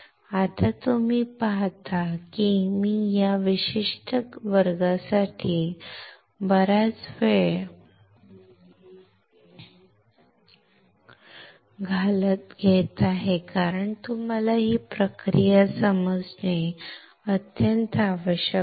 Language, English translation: Marathi, Now, you see I am taking long time for this particular class because it is extremely important that you understand this process